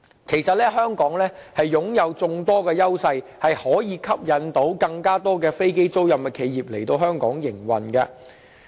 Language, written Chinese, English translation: Cantonese, 其實，香港擁有眾多優勢，可以吸引更多飛機租賃企業來香港營運。, Actually Hong Kong has quite a lot of privileges that will attract more aircraft leasing enterprises to operate their business in Hong Kong